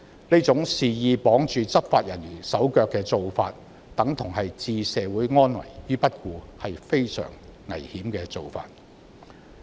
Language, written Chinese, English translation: Cantonese, 這種猶如肆意綁住執法人員手腳的方式等於置社會安危於不顧，是非常危險的做法。, The approach of wantonly tying up the hands of law enforcement officers is tantamount to ignoring the safety of society which is very dangerous